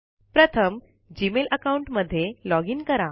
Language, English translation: Marathi, First, login to the Gmail account